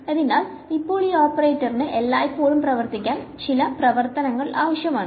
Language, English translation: Malayalam, So, now, this operator is in need of some function to act on always